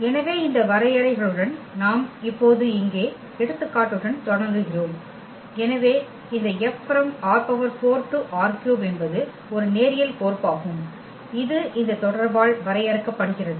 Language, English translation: Tamil, So, with these definitions we start now here with the example, where we have taken this F linear map from R 4 to R 3 is a linear mapping which is defined by this relation F maps this element which is from R 4